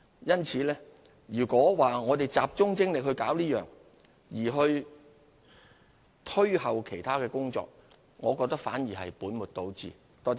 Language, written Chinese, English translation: Cantonese, 因此，如果只集中精力處理此事，而押後其他工作，我認為反而是本末倒置。, For this reason in my view if we merely focus our efforts on dealing with this matter and postpone the other tasks we are actually putting the cart before the horse